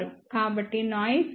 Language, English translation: Telugu, So, noise voltage comes out to be 12